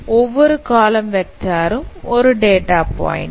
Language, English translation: Tamil, So each column vector is a data point